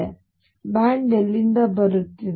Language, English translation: Kannada, So, where is the band coming in from